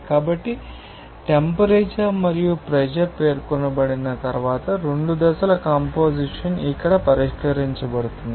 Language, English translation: Telugu, So, once temperature and pressure will be specified, the composition of both the phases will be fixed there